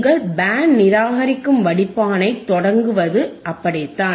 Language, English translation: Tamil, So, this is your Band reject filter right